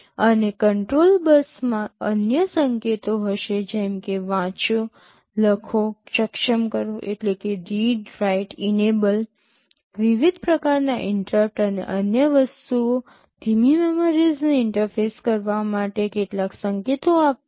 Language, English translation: Gujarati, And the control bus will contain other signals like read, write, enable, different kinds of interrupts and other things, some signals for interfacing slow memories